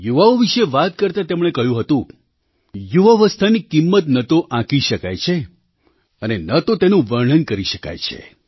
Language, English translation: Gujarati, Referring to the youth, he had remarked, "The value of youth can neither be ascertained, nor described